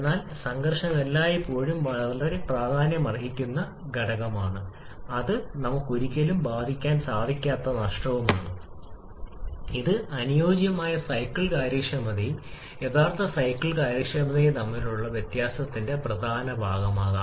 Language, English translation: Malayalam, But friction can always be very significant factor and this is a loss we can never avoid infact it can be significant portion of the difference that can exist between ideal cycle efficiency and actual cycle efficiency